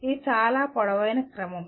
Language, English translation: Telugu, This is a very tall order